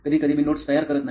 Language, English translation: Marathi, Like sometimes I do not prepare notes